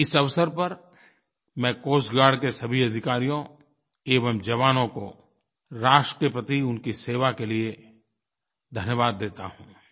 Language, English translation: Hindi, On this occasion I extend my heartfelt gratitude to all the officers and jawans of Coast Guard for their service to the Nation